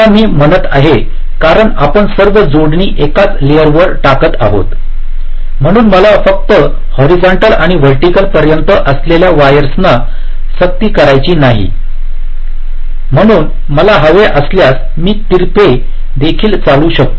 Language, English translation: Marathi, what i am saying is that because we are laying out all the connections on the same layer, so i do not have any compulsion that the wires up to horizontal and vertical only, so i can also run the wires diagonally if i want